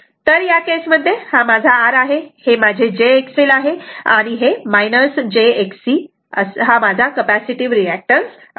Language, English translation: Marathi, So, in this case this is my R, this is my jX L and this is my minus jX C, it is capacitive